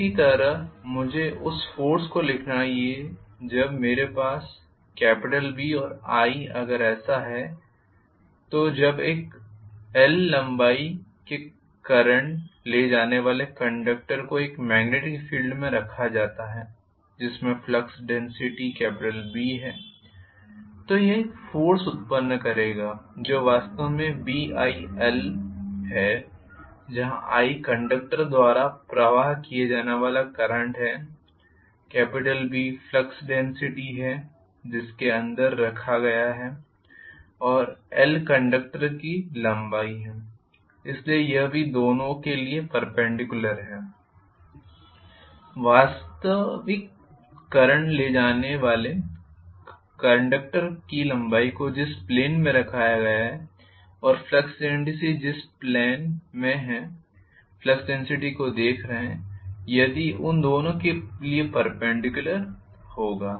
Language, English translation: Hindi, Similarly, I should be able to write the force that comes in to play when I am having B and I that is if a current carrying conductor of length l is placed in a magnetic field which is having a flux density of B, it will create a force which is actually Bil where I is the current carried by the conductor B is the flux density inside which is placed and l is the length of the conductor so, that is also perpendicular to both, you know the actual current carrying conductors length in which plane it is placed and the flux density on which plane we are looking at the flux density it will be perpendicular to both of them,right